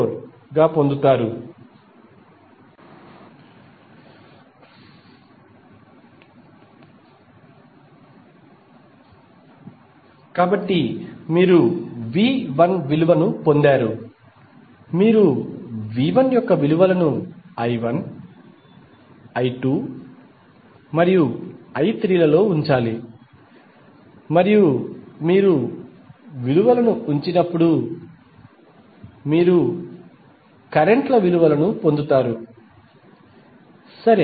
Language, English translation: Telugu, So, you have got the value of V 1 simply you have to put the values of V 1 in I 1, I 2 and I 3 and when you will put the value you will get the values of currents, right